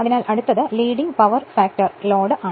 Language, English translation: Malayalam, So, next is Leading Power Factor Load right